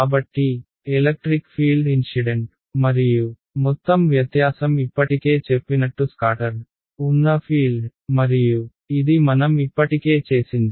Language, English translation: Telugu, So, the difference in the electric field incident and total is this is the scattered field as I already mentioned and this is what we already had ok